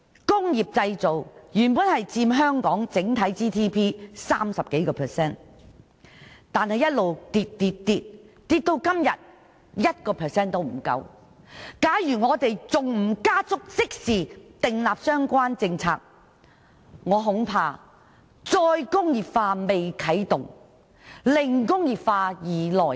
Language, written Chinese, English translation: Cantonese, 工業製造原本佔香港整體 GDP 30% 以上，這比率近年卻不斷下跌，跌至今天不足 1%， 假如我們仍不加速訂立相關政策，恐怕"再工業化"未啟動，"零工業化"已來臨。, Industrial manufacturing originally took up more than 30 % of our overall GDP . This percentage however has been on the decline in recent years to become less than 1 % today . If we still do not formulate relevant policies expeditiously I am afraid that zero industrialization shall come well before re - industrialization is launched